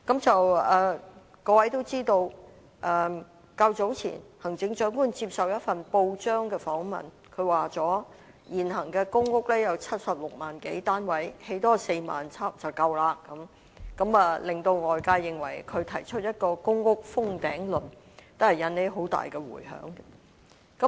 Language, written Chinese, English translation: Cantonese, 大家也知道，行政長官較早前接受一份報章訪問時說，現時公屋有76萬多個單位，多興建4萬個單位便足夠了，令外界認為她提出一個"公屋封頂論"，引起很大迴響。, As we all know when interviewed by a newspaper some time ago the Chief Executive said that there are now some 760 000 public rental housing PRH units and that the production of an additional 40 000 units would be sufficient . This led the community into thinking that she had proposed to cap the production of PRH units thus arousing considerable reverberations